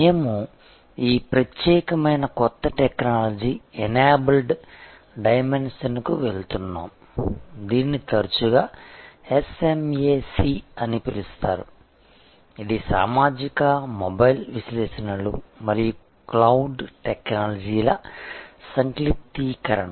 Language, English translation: Telugu, We are moving to this particular new technology enabled dimension, which is often called SMAC it is the acronym for social, mobile, analytics and cloud technologies